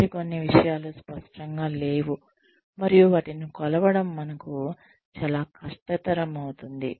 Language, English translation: Telugu, Some other things are not tangible, and that makes it very difficult for us, to measure them